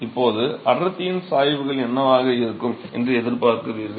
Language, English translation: Tamil, Now what do you expect the density gradients to be